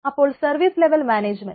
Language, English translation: Malayalam, so service level management